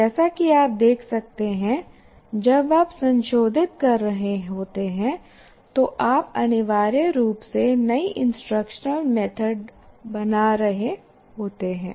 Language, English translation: Hindi, So as you can see when you are tweaking you are creating essentially new instructional method